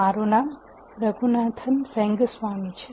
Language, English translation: Gujarati, My name is Raghunathan Rengaswamy